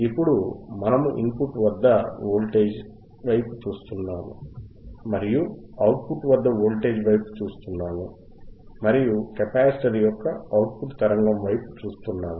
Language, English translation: Telugu, Now, we are looking at the voltage at the input and we are looking at the voltage at the output, or a connect to capacitorand across the capacitor and we are looking at the output signal